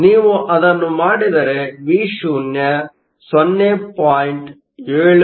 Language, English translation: Kannada, If you do that Vo is 0